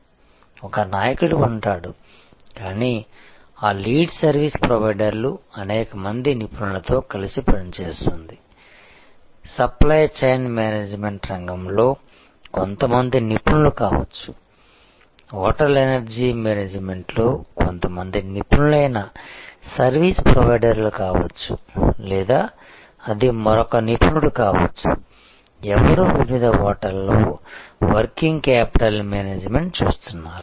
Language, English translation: Telugu, So, there will be a leader, but that lead service provider will be working together with number of experts may be some experts in the area of supply chain management may be some expert service provider in the of hotel energy management or it could be another expert, who is looking at the working capital management at different hotels